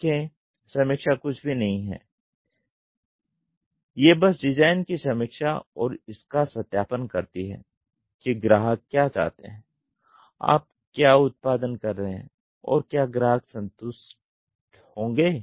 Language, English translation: Hindi, See review is nothing, but design review is nothing, but validation of what customer wanted, what you are producing, whether it will meet out to the customer satisfaction